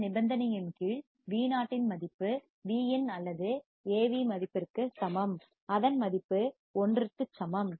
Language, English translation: Tamil, Under this condition Vo equals to Vin or Av equals to unity